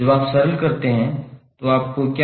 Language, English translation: Hindi, When you simplify, what you will get